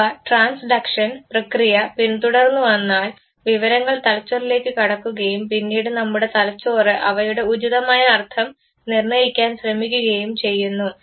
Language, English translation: Malayalam, Once this following the process of transduction the information comes to the brain, our brain then tries to assign an appropriate meaning to this